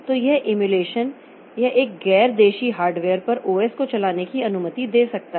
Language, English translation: Hindi, So, this emulation it can allow an OS to run on a non native hardware